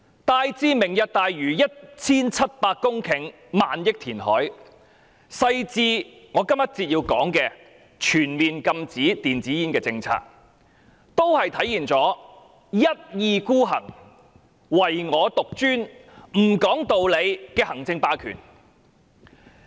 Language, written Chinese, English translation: Cantonese, 大至"明日大嶼"那 1,700 公頃和花費上萬億元的填海工程，小至我要在這個環節談論的全面禁止電子煙政策，均體現了一意孤行、唯我獨專、不講理的行政霸權。, All matters ranging from major ones as large as the Lantau Tomorrow Vision a reclamation project involving 1 700 hectares of land and trillion - dollar to the minor ones such as the comprehensive ban on e - cigarettes that I am talking about in this session demonstrate her administrative hegemony in moving ahead obstinately autocratically and wilfully